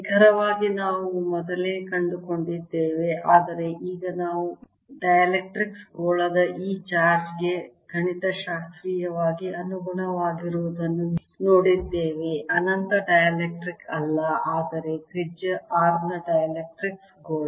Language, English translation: Kannada, but now we have seen it responding to this charge of this dielectrics sphere, not infinite dielectric, but dielectrics sphere of radius r